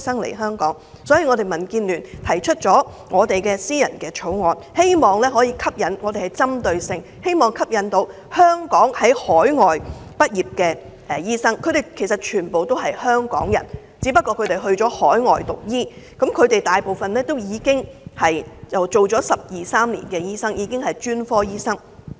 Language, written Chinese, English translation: Cantonese, 所以，民主建港協進聯盟提出了私人條例草案，希望可以針對性地吸引在海外讀醫的香港人，他們全部都是香港人，只不過去了海外讀醫科，他們大部分都是工作了十二三年的專科醫生。, Hence the Democratic Alliance for the Betterment and Progress of Hong Kong proposed a Members bill to target at Hong Kong people who study medicine overseas . They are all Hong Kong people just that they have studied medicine abroad . They mostly are doctors with about 12 years of specialist experience